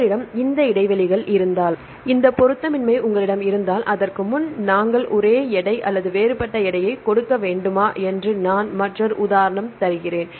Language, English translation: Tamil, Now, next question is if you have this gaps and if you have this mismatch whether we need to give same weight or different weight before that I give another example